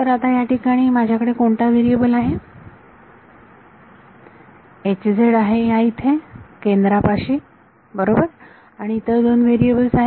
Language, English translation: Marathi, So, what is the variable that I have a here H z is here at the centre right and the other two variables are